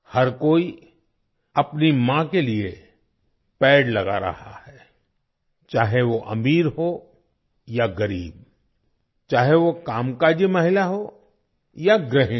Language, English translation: Hindi, Everyone is planting trees for one’s mother – whether one is rich or poor, whether one is a working woman or a homemaker